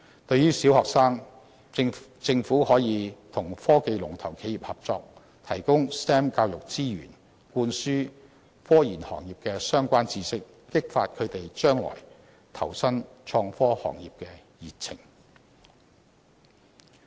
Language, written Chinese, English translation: Cantonese, 對於中學生，政府可與科技龍頭企業合作，提供 STEM 教育資源，灌輸科研行業的相關知識，激發他們將來投身創科行業的熱情。, As for secondary school students the Government can work with leading technological enterprises and ask them to provide resources in STEM education to help impart relevant knowledge in scientific research - related professions with a view to inspiring students enthusiasm in joining the innovation and technology industry